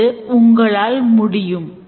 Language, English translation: Tamil, Yes, it can be done